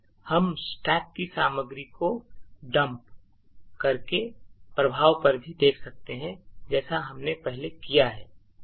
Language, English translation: Hindi, We can also see the effect on the stack by dumping the stack contents as we have done before